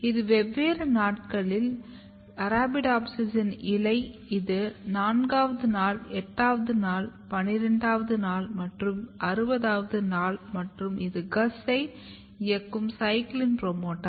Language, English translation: Tamil, So, if you look this is Arabidopsis leaf at different days this is day 4, day 8, day 12 and day 60 and this is a CYCLIN promoter driving GUS